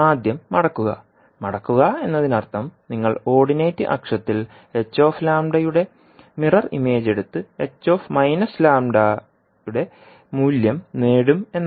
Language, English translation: Malayalam, First is folding, folding means you will take the mirror image of h lambda about the ordinate axis and obtain the value of h minus lambda